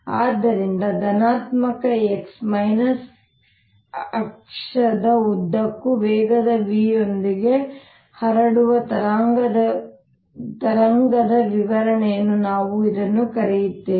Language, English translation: Kannada, so this is i will call description of a wave propagating with speed v along the positive x axis